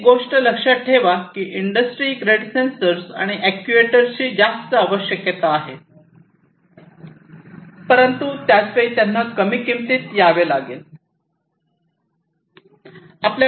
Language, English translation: Marathi, And so remember one thing that industry grade sensors and actuators have higher requirements, but at the same time they have to come in lower cost